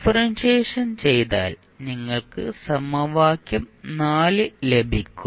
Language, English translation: Malayalam, So, when you again differentiate this equation what you will get